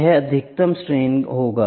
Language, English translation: Hindi, This will be the maximum stress